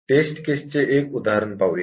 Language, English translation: Marathi, Let us look at one example test case